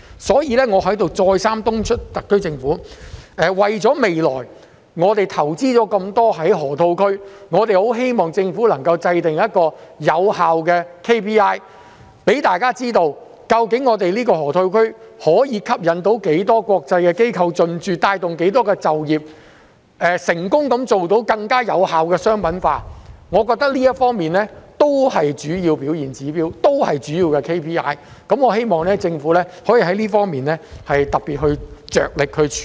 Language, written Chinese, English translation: Cantonese, 所以，我再三敦促特區政府，為了我們未來在河套區投放的很多資源，我們十分希望政府能制訂有效的 KPI， 讓大家知道究竟這個河套區可以吸引多少間國際機構進駐、可以帶動多少就業機會，是否成功地做到更有效的商品化，我認為這方面也是主要的表現指標，也是主要的 KPI， 我希望政府可以在這方面特別着力處理。, Therefore I wish to urge the SAR Government again that as we will allocate a lot of resources to the Lok Ma Chau Loop project we hope the Government can set an effective KPI so that the public will know the number of international institutions which will be attracted to the Lok Ma Chau Loop and the number of job opportunities which will be created as well as whether more effective and successful commercialization of the RD products will be achieved . I think that all of these should be included in the KPIs . I hope the Government will make extra effort in this respect